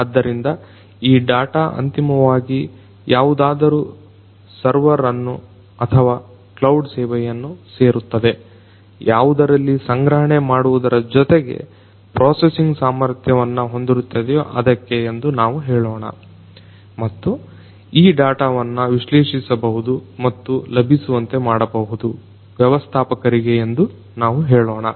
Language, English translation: Kannada, So, these data are finally, going to reach some server or some cloud service let us say which has storage plus processing capability and this data would be analyzed and would be made available to let us say the manager